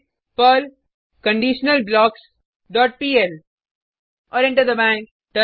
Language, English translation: Hindi, Type perl conditionalBlocks dot pl and press Enter